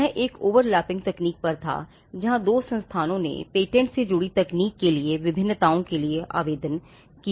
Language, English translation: Hindi, This was on an overlapping technology where, the two institutions where applying for variations on patents to lock up associated technology